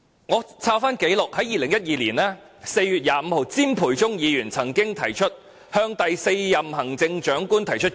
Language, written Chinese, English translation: Cantonese, 翻查紀錄，在2012年4月25日，詹培忠議員曾提出議案，向第四任行政長官提出建議。, A search of the records shows that on 25 April 2012 Mr CHIM Pui - chung put forward a motion to make recommendations to the fourth term Chief Executive